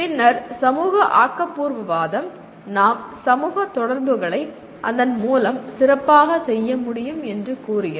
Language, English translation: Tamil, And then social constructivism says that, we can do that through social interactions much better